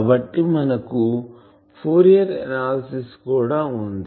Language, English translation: Telugu, So, and also we have Fourier analysis